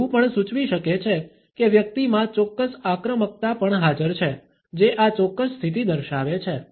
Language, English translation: Gujarati, It may also suggest that certain aggression is also present in the person, who is displaying this particular position